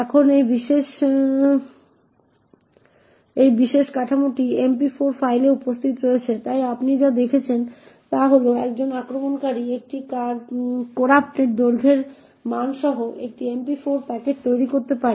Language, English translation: Bengali, Now, this particular structure is present in the MP4 file, so what you see is that an attacker could create an MP4 packet with a corrupted length value